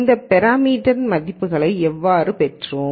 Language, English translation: Tamil, And how did we get these parameter values